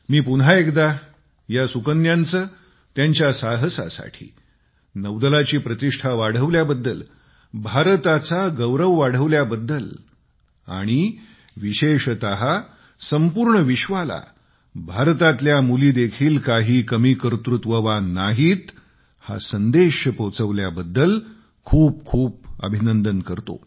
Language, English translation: Marathi, Once again, I congratulate these daughters and their spirit of adventure for bringing laurels to the country, for raising the glory of the Navy and significantly so, for conveying to the world that India's daughters are no less